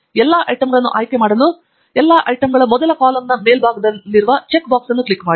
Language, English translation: Kannada, click on the check box at the top of the first column of all the items to select all the items